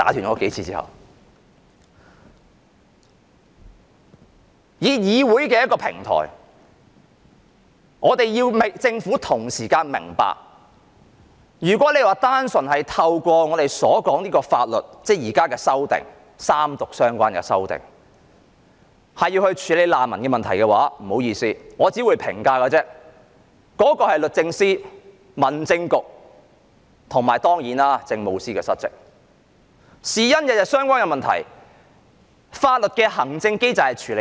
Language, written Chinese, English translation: Cantonese, 我們利用議會的平台，希望政府明白，如果寄望法律，即現時進行三讀的法案，便能夠處理難民問題，那但不好意思，我能好說律政司司長、民政事務局局長及政務司司長失職，原因是難民的問題與他們息息相關，法律的機制卻無法處理。, We are using the platform of this Council to tell the Government that it is wrong to think that the refugee issue can be addressed by legislation ie . the Bill pending its Third Reading . This issue is closely related to the purview of the Secretary for Justice the Secretary for Home Affairs and the Chief Secretary for Administration I would therefore say that they have failed to do their job